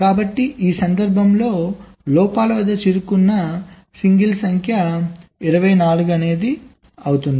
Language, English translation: Telugu, so in this case number of single stuck at faults will be twenty four right now